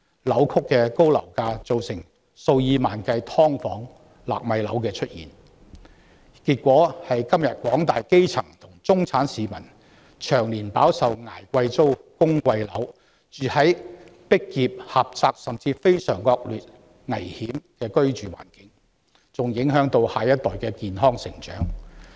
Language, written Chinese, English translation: Cantonese, 扭曲的高樓價造成數以萬計的"劏房"和"納米樓"出現，結果是今天廣大基層和中產市民長年捱貴租、供貴樓、居住在擠迫狹窄甚至非常惡劣危險的環境中，還影響到下一代的健康成長。, The distorted and high property prices have given rise to tens of thousands of subdivided units and nano flats . Consequently nowadays the mass grass roots and middle class have long been suffering from high rentals and mortgage payments and living in a cramped narrow and even very dangerous environment which also affects the healthy growth of the next generation